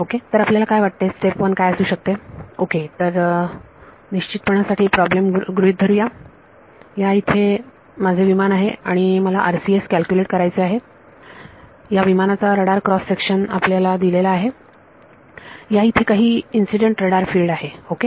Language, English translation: Marathi, So, what do you think could be step number 1 ok, so, for definiteness let us assume problem this is my aircraft over here, and I want to calculate RCS: Radar Cross Section of this aircraft you are given some incident radar field over here ok